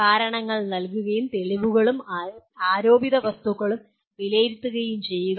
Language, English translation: Malayalam, Giving reasons and evaluating evidence and alleged facts